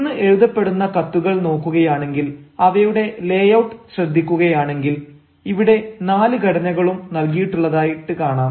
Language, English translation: Malayalam, if you have a look at letters which are being drafted nowadays and the layout of letters you can see here are given all the four formats